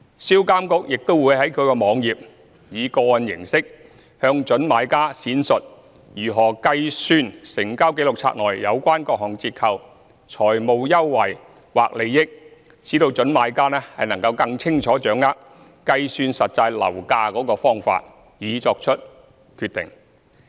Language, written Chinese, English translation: Cantonese, 銷監局亦會在其網頁，以個案形式，向準買家闡述如何計算成交紀錄冊內有關各項折扣、財務優惠或利益，使準買家更清楚掌握計算實際樓價的方法，以作出決定。, SRPA will also upload case examples on its website to elaborate the calculation of various discount financial advantage or benefit in the Register of Transactions so that prospective purchasers could have a good grasp of the methods of calculating the actual prices of the units to make a decision